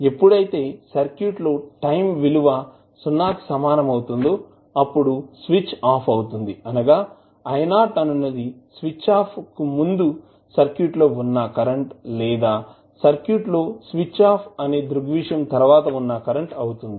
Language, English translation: Telugu, When the circuit when the switched is off at time t is equal to 0 the current that is I naught just before the switch off of the circuit or just after the switch off phenomena in the circuit